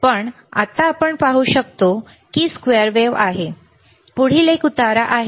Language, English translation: Marathi, But right now, we can see the wave is squared ok, next one which iis the ramp